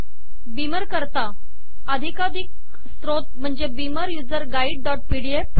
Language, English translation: Marathi, The authoritative source for beamer this beamer user guide dot pdf